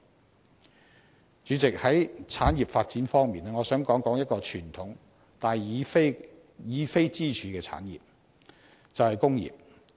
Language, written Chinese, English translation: Cantonese, 代理主席，在產業發展方面，我想談談一個傳統但已非支柱的產業，便是工業。, Deputy President in respect of industrial development I wish to speak on a traditional industry which is no longer one of the pillar industries the manufacturing industry